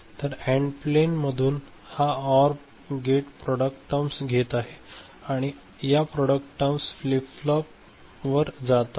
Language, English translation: Marathi, So, from the AND plane this OR gate is taking the product terms alright this product term is going to a flip flop right